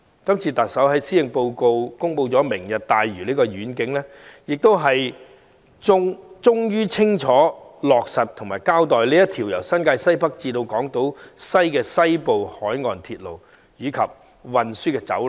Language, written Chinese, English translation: Cantonese, 今次特首在施政報告公布"明日大嶼"的願景，終於清楚落實和交代這條由新界西北至港島西的西部海岸鐵路和運輸走廊。, Announcing the vision of Lantau Tomorrow in the Policy Address this time around the Chief Executive has eventually given a clear account of the implementation of the Western Coastal Rail Link and Corridor connecting Northwest New Territories and Hong Kong Island West